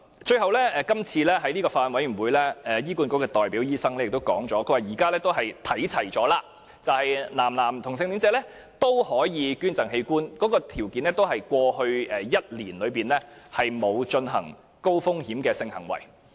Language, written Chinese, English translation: Cantonese, 最後，在法案委員會會議上，醫院管理局的代表醫生表示，現時兩者已經看齊，男同性戀者可以捐贈器官，條件同樣是在過去1年內沒有進行高風險性行為。, Eventually the Hospital Authority doctor on the Bills Committee replied that a uniform treatment had been adopted for both cases with male homosexuals being also allowed to donate organs if they had not engaged in any high - risk homosexual acts over the previous one year